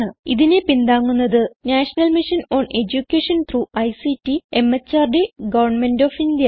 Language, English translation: Malayalam, It supported by the National Mission on Education through ICT, MHRD, Government of India